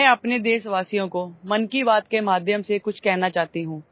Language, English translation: Hindi, Namaskar I want to say something to my countrymen through 'Mann Ki Baat'